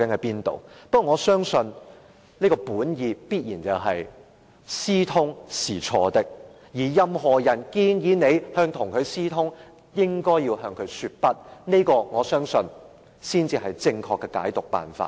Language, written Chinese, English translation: Cantonese, 不過，我相信你本意必然是認為私通是錯的，任何人建議自己跟對方私通，也應該向他說不，我相信這才是正確的處理辦法。, But I believe you meant to say that collusion was wrong and you should refuse to collude with anyone . I believe that is the right way to handle the matter